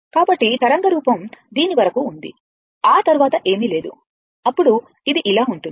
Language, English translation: Telugu, So, wave form is there up to this after that nothing is there then it is like this